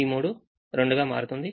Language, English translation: Telugu, three becomes two